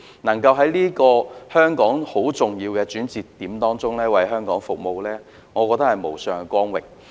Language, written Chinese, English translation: Cantonese, 能夠在香港這個很重要的轉折點為它服務，我認為是無上的光榮。, It is my great honor to serve Hong Kong at this juncture when it faces such a very important turning point